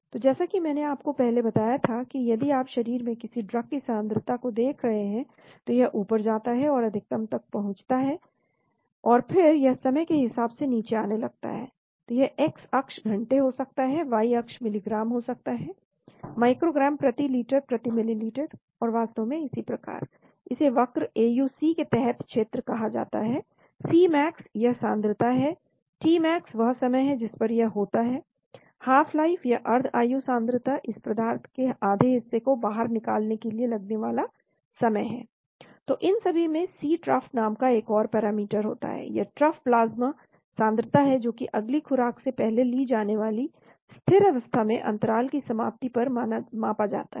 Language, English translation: Hindi, So as I showed you before if you are looking at the concentration of a drug in the body, so it goes up reaches a max and then it starts coming down as a function of time, so this x axis could be hours, y axis could be milligrams, microgram per liter per ml and so on actually , this is called the area under the curve AUC, Cmax is this concentration , tmax is the time at which this happens, half life concentration , the time it takes to eliminate half of this material so all these are of course there is one more parameter called C trough, this is trough plasma concentration measured concentration at the end of dosing interval at steady state taking directly before next administration,